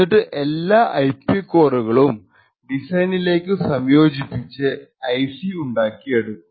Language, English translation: Malayalam, Now, all of these IP cores would be integrated into the design and then used to manufacture the IC